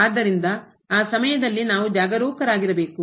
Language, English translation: Kannada, So, at those points we have to be careful